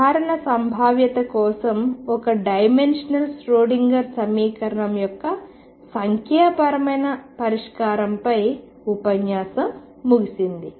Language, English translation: Telugu, That concludes the lecture on numerical solution of Schrodinger equation in one dimension for a general potential